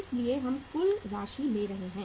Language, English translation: Hindi, So we are taking the total amount